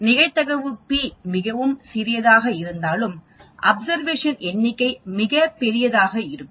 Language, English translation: Tamil, The probability p will be very small whereas the number of observation will be very large